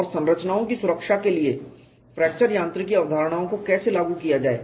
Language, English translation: Hindi, Otherwise fracture mechanics concepts cannot be applied to actual designs